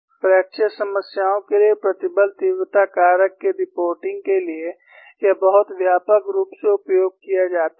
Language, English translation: Hindi, This is very widely used for reporting stress intensity factor for fracture problems